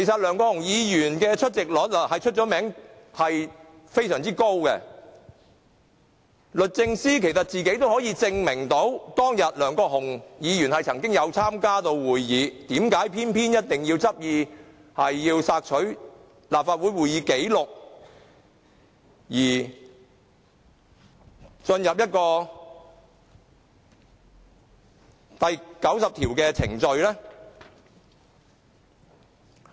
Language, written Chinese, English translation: Cantonese, 梁國雄議員的出席率以高見稱，律政司其實可以有其他方法證明梁議員當天曾經參加會議，為何偏要執意索取立法會會議紀錄而進入第90條的程序呢？, Mr LEUNG Kwok - hung is famous for his good attendance record . DoJ indeed has other ways to prove that Mr LEUNG did attend the meeting on that day . Why does it insist obtaining copies of proceedings and minutes to the extent that it even proceeds to the procedures laid down in RoP 90?